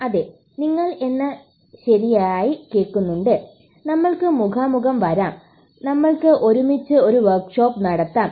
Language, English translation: Malayalam, Yes, you heard me right you can actually come face to face we can have a workshop together